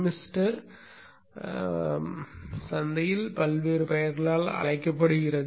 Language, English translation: Tamil, So this thermister is called by various names in the market